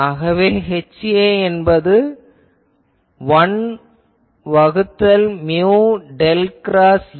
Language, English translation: Tamil, So, H A will be 1 by mu del cross A